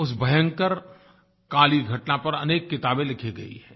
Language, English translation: Hindi, Many books have been written on that dark period